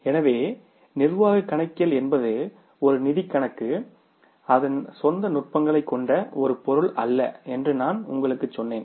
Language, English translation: Tamil, So, as I told you that management accounting itself is not a subject which has its own techniques